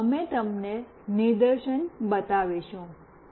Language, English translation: Gujarati, Now, we will be showing you the demonstration